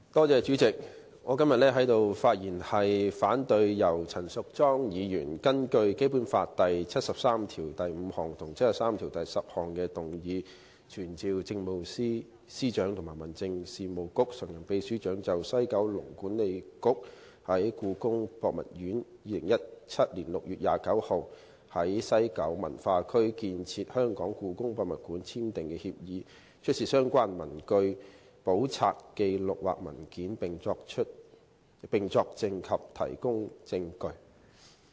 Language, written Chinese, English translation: Cantonese, 主席，我今天在此發言反對陳淑莊議員根據《基本法》第七十三條第五項及第七十三條第十項動議的議案，要求傳召政務司司長及民政事務局常任秘書長就西九文化區管理局與故宮博物院於2017年6月29日就在西九文化區興建香港故宮文化博物館簽訂合作協議的事宜，出示所有相關的文據、簿冊、紀錄或文件，並作證及提供證據。, President today I am speaking to oppose the motion moved by Ms Tanya CHAN under Articles 735 and 7310 of the Basic Law to summon the Chief Secretary for Administration and the Permanent Secretary for Home Affairs to produce all relevant papers books records or documents in relation to the signing of the Collaborative Agreement between the West Kowloon Cultural District Authority WKCDA and the Palace Museum on 29 June 2017 regarding the building of the Hong Kong Palace Museum HKPM in the West Kowloon Cultural District WKCD